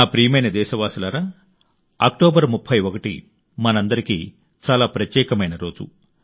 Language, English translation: Telugu, My dear countrymen, 31st October is a very special day for all of us